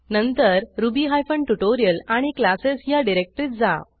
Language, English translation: Marathi, To ruby hyphen tutorial and classes directory